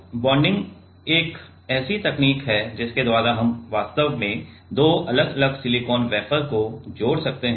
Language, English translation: Hindi, So, bonding is a technique by which we can actually join two different silicon wafer